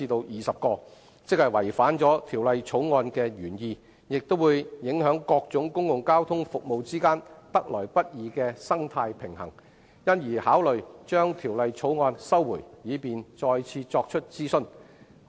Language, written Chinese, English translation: Cantonese, 運輸及房屋局認為有關修訂既違反《條例草案》的原意，亦會影響各種公共交通服務之間得來不易的生態平衡，因而考慮撤回《條例草案》，以便再作諮詢。, The Transport and Housing Bureau held that the amendment would not only run counter to the original intent of the Bill but also affect the delicate balance amongst various public transport services so it considered withdrawing the Bill for conducting a consultation afresh . Fortunately the problem has been resolved